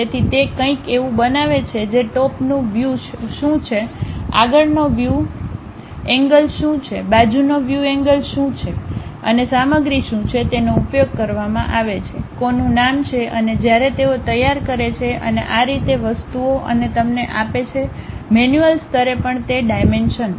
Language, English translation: Gujarati, So, it makes something like what is top view, what is front view, what is side view and what are the materials have been used, whose name is there, and when they have prepared and so on so things and gives you those dimensions also at manual level